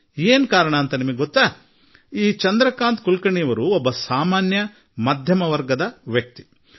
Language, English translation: Kannada, Shri Chandrakant Kulkarni is an ordinary man who belongs to an average middle class family